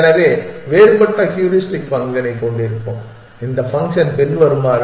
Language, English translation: Tamil, So, let us have a different heuristic function and this function is as follows